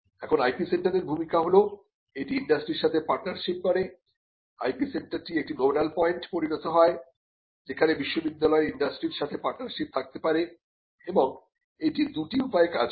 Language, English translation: Bengali, Now, the role of the IP centre is that it partners with the industry, the IP centre becomes a nodal point where the university can have partnerships with the industry, and this works in two ways